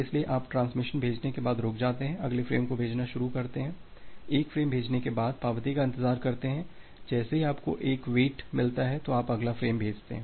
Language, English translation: Hindi, So, you stop after sending transmission, start sending the next frame, after sending one frame then, wait for the acknowledgement; one you have received the wait, then you send the next frame